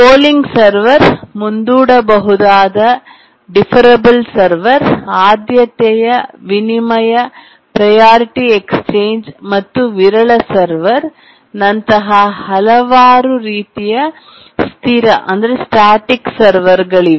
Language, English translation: Kannada, There are several types of static servers, the polling server, deferable server, priority exchange and sporadic server